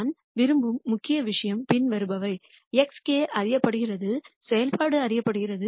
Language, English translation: Tamil, The key thing that I really want you guys to notice here is the following, x k is known, the function is known